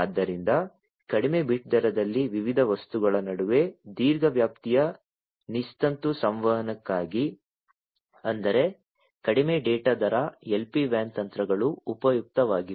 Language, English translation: Kannada, So, for long range wireless communication between different things at a low bit rate; that means, low data rate, LPWAN techniques are useful